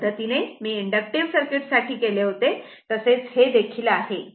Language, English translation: Marathi, The way I have done for inductive circuit, same way you do it